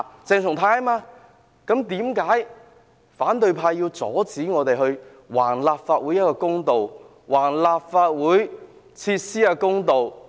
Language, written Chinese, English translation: Cantonese, 為何反對派要阻止我們為立法會討回公道、為立法會設施討回公道？, Why does the opposition camp prevent us from seeking justice for the Legislative Council and for the facilities in the Complex?